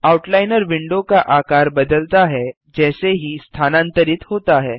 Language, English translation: Hindi, The Outliner window resizes as the mouse moves